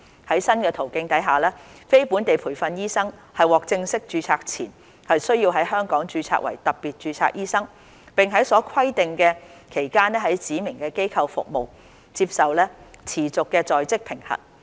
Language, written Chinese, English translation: Cantonese, 在新途徑下，非本地培訓醫生獲正式註冊前，須在香港註冊為特別註冊醫生，並在所規定的期間在指明機構服務，接受持續的在職評核。, Before being granted full registration under the new pathway NLTDs will have to be registered as doctors with special registration in Hong Kong and subject to continuous on - the - job assessment during the requisite period of service in the specified institutions